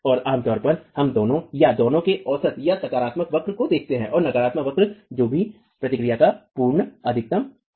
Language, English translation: Hindi, And typically we look at either both or an average of the two or the positive curve and the negative curve, whichever is the absolute maximum of the response itself